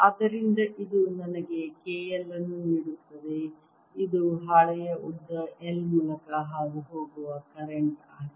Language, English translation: Kannada, so this gives me k, l, which is the current, indeed passing through length l of the sheet